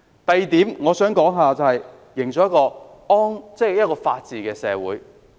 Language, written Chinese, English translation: Cantonese, 第二點，我想談談營造一個法治社會的重要性。, The second point I wish to talk about is the importance of building a society which upholds the rule of law